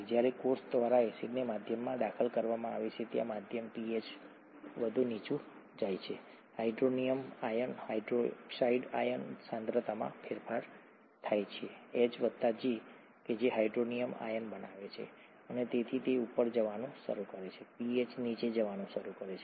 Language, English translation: Gujarati, When acid is introduced into the medium by the cell, the medium pH goes down further, the hydronium ion, hydroxide ion concentrations vary; H plus which forms hydronium ions and therefore this starts going up, the pH starts going down